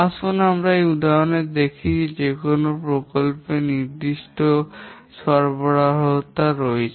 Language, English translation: Bengali, Let's look at this example where a project has certain deliverables